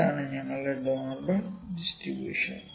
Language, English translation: Malayalam, This is our normal distribution